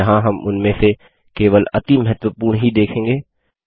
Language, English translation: Hindi, Here we will see only the most important of them